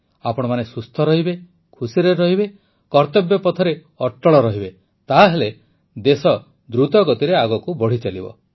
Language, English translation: Odia, May all of you be healthy, be happy, stay steadfast on the path of duty and service and the country will continue to move ahead fast